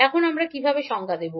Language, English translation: Bengali, So, how we will write